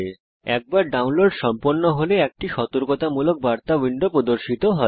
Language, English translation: Bengali, Once the download is complete, a warning message window appears